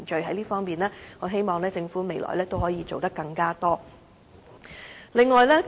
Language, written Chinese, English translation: Cantonese, 在這方面，我希望政府未來可以做得更多。, In this regard I hope the Government can do more in the future